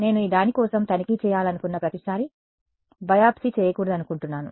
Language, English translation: Telugu, I do not want to have a biopsy done every time I want to check for this right